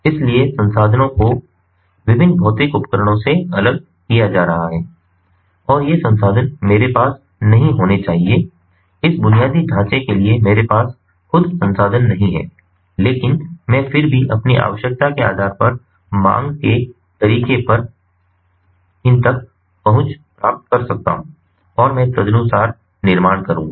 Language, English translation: Hindi, so resources are going to be pooled from different physical devices and i do not have to own these resources, these infrastructure i do not have to own, but i can still get access to these on an on demand manner, depending on my requirement, and i will build accordingly